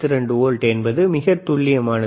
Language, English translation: Tamil, 92 volts, excellent